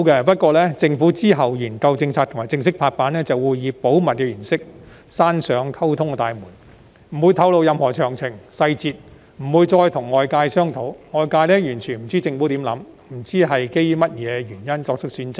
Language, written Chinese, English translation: Cantonese, 不過，政府其後在研究政策及正式拍板時，會以保密原因關上溝通大門，不會透露任何詳情和細節，也不會再跟外界商討，外界完全不知政府的想法，不知道基於甚麼原因而作出選擇。, However when the policies were examined and formally approved the Government would using confidentiality as a reason shut the door of communication and refuse to disclose any details or discuss them again with the public . There is no way the public can tell what is in the mind of the Government and on what basis the decisions are made